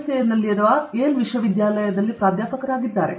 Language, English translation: Kannada, He is a professor in Yale university in US